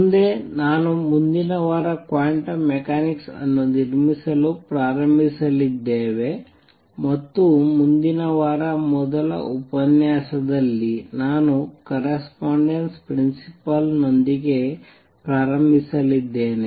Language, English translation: Kannada, Next, we are going to start the next week the build up to quantum mechanics, and I am going to start with correspondence principal in the first lecture next week